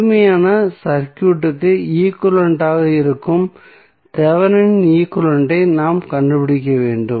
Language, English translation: Tamil, So, we have to find out the Thevenin equivalent which would be the equivalent of the complete circuit